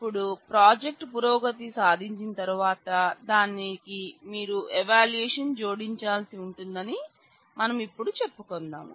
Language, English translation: Telugu, Now, let us say once the project progresses you would need to add evaluation to that